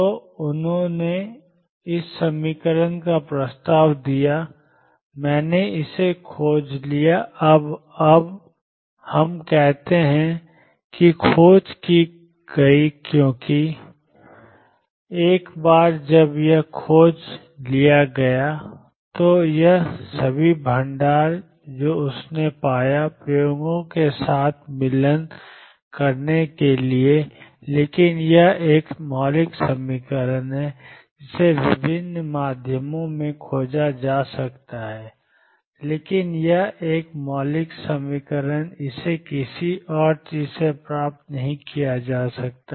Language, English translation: Hindi, So, he propose this equation I discovered this now we say discovered because once it is discovered it all the reserves that he found from this to matching with experiments, but it is a fundamental equation it can be discovered by different means, but it is a fundamental equation it cannot be derived from anything else